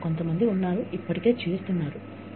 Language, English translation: Telugu, May be, some people are, already doing it